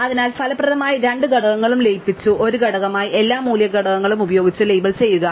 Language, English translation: Malayalam, So, therefore, effectively the two components have been merged into one component all label by the value components of u